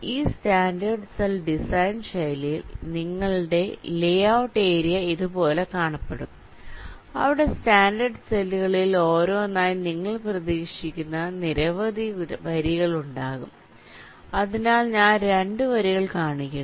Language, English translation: Malayalam, so in this standard cell design style, your layout area will look like this, where there will be several rows in which you are expected to put in the standard cells one by one